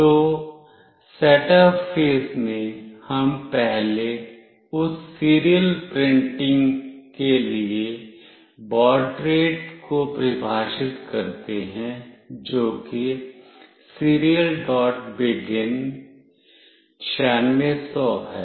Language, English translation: Hindi, So, in the setup phase we first define the baud rate for that serial printing that is Serial